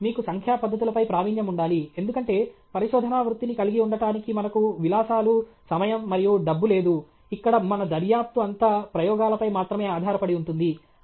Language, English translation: Telugu, You should have mastery of numerical techniques, because we don’t have the luxury, the time and the money, to have a research career, where all our investigation will be based only on experiments okay